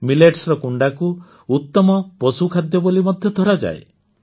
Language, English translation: Odia, Millet hay is also considered the best fodder